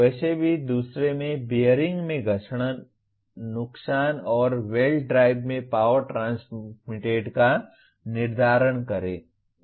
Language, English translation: Hindi, Anyway coming to another one, determine the friction losses in bearings and power transmitted in belt drives